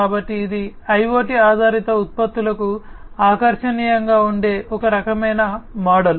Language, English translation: Telugu, So, this is a type of model that is attractive for IoT based products